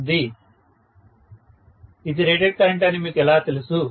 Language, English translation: Telugu, How do you know that this is the rated current